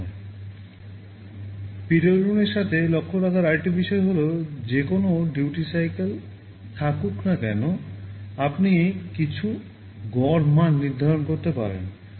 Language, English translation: Bengali, Another thing to note with respect to PWM is that whatever duty cycle you have, you can define some average value